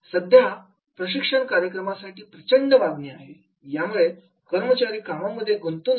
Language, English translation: Marathi, Nowadays, there is a lot of demand of the training programs to enhance the employee engagement